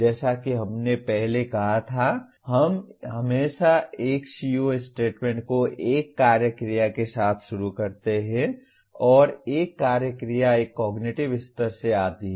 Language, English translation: Hindi, As we stated earlier, we always start a CO statement with an action verb and an action verb it comes from one of the cognitive levels